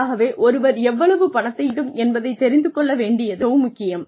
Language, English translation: Tamil, So, it is very important to know, how much money, one wants to make